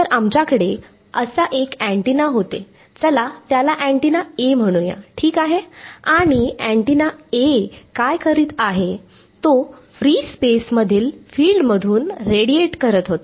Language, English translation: Marathi, So, we had one antenna like this let us call it antenna A ok, and what was this antenna A doing, it was radiating a field in free space